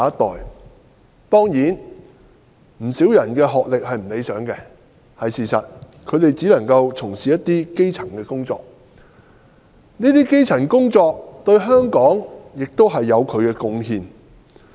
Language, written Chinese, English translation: Cantonese, 在他們當中，不少人學歷不高——這是事實——只能夠擔當基層職位，但有關工種對香港也有貢獻。, As many of them are not well educated―this is true―they can only take up elementary jobs . But the job types concerned also contribute to Hong Kong one way or another